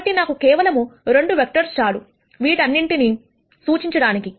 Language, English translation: Telugu, So, I just need 2 vectors to represent all of this